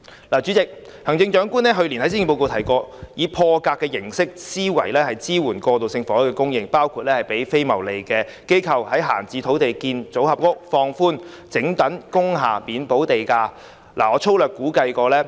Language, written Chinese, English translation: Cantonese, 代理主席，行政長官去年在施政報告提及，要以破格思維增加過渡性住屋供應，包括協助非牟利機構研究在閒置土地興建預製組合屋，以及研究讓整幢工廈免補地價改裝為過渡性房屋。, Deputy President the Chief Executive stated in last years Policy Address that we had to think out of the box to increase the supply of transitional housing by for example supporting non - profit - making organizations to explore the feasibility of constructing pre - fabricated modular housing on idle sites and exploring the wholesale conversion of industrial buildings into transitional housing with waiver of land premium